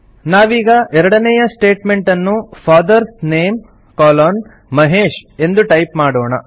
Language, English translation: Kannada, So we type the second statement in the resume as FATHERS NAME colon MAHESH